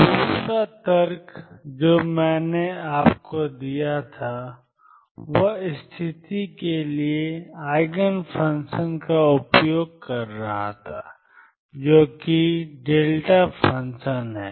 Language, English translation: Hindi, The other argument I gave you was using the Eigen function for position, which is a delta function